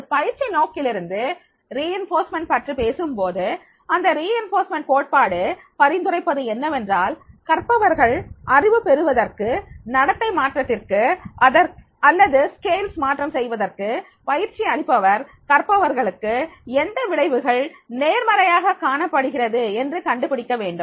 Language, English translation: Tamil, From a training perspective when we talk about the reinforcement of behavior then the reinforcement theory suggests that for learners to acquire knowledge change behavior or modify skills, the trainer needs to identify what outcomes the learner finds most positive